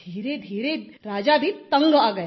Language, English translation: Hindi, Gradually even the king got fed up